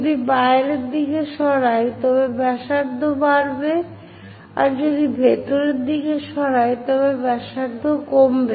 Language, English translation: Bengali, If we are moving outside radius increases, as I am going inside the radius decreases